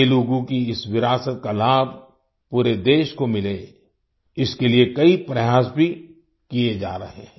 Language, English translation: Hindi, Many efforts are also being made to ensure that the whole country gets the benefit of this heritage of Telugu